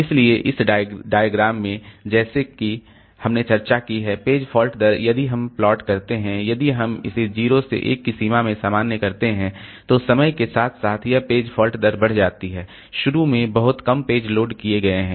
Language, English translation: Hindi, So, in this diagram as we have discussed, so page fault rate if we plot and if you normalize it in the range of 0 to 1, then over the time this page fault rate increases from initially there is very few pages have been loaded so this page fault rate increases